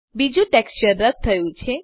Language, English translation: Gujarati, The second texture is removed